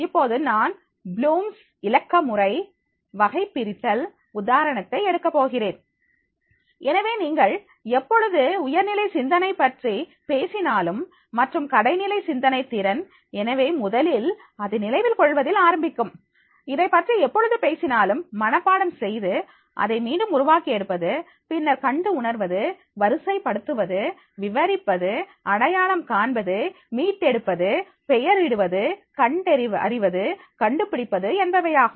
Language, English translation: Tamil, Now, I would like to take the example of the blooms digital taxonomy, so whenever you talking about the higher order thinking’s skills, so and the lower orders thinking skills, so first, it will start with the remembering, whenever we talk about that is the mug up and reproduce, than it is the recognizing, listing, describing, identifying, retrieving, naming, locating and finding